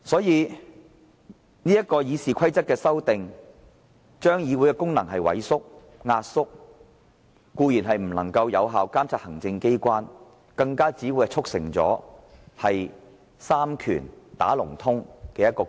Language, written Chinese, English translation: Cantonese, 由此可見，《議事規則》的修訂建議會令議會的功能萎縮，議員固然無法有效監察行政機關，更會促成三權"打龍通"的情況。, From the above we can see that the proposals to amend RoP will undermine the functions of the Council . Not only will Members fail to monitor the Executive Authorities effectively but the three powers will collude